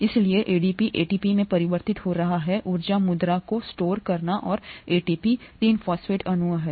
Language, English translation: Hindi, So ADP getting converted to ATP to kind of store up the energy currency and which is ATP 3 phosphate molecules